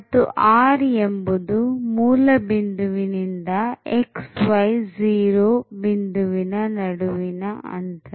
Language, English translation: Kannada, So, r is precisely the distance from the origin to this point